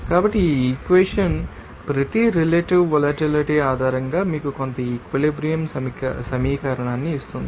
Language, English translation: Telugu, So, this equation will give you that you know that some equilibrium equation based on each you know relative volatility